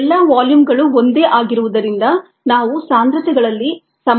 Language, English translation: Kannada, now, since all the volumes are the same, we get equality in concentrations